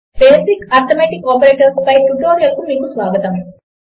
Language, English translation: Telugu, Welcome to this tutorial on basic arithmetic operators